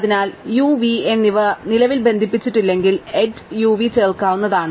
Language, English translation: Malayalam, So, the edge u v can be added if u and v currently are not connected